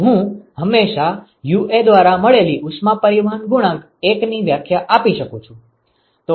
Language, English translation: Gujarati, So, I can always define the heat transport coefficient 1 by UA